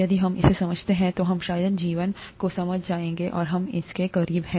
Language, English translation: Hindi, If we understand this, then we have probably understood life, and, we are nowhere close to this